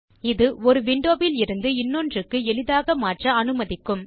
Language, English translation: Tamil, This will allow easy switching from one windows to another